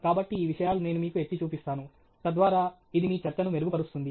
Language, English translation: Telugu, So, these are things that I will highlight to you and so that would help you make your talk better